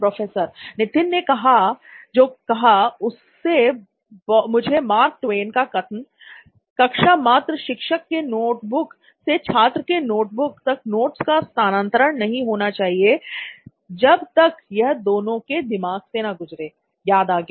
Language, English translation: Hindi, What Nithin said reminded me of Mark Twain’s quote, “that a classroom should not be a transfer of notes from the teacher’s notebook to the student’s notebook without going through the minds of either”